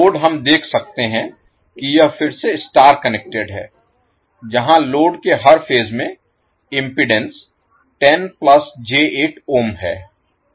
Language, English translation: Hindi, Load we can see that it is star connected again where the per phase impedance of the load is 10 plus j8 ohm